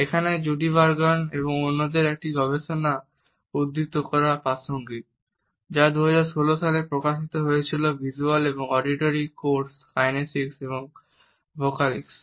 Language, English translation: Bengali, It is pertinent here to quote a research by Judee Burgoon and others, entitle the visual and auditory codes kinesics and vocalics which was published in 2016